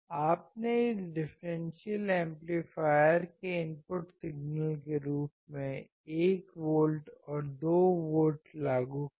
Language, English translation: Hindi, You applied 1 volt and 2 volts as the input signal of this differential amplifier